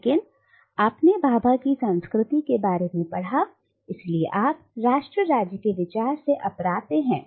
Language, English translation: Hindi, But you see Bhabha’s notion of culture therefore is untenable with the idea of nation state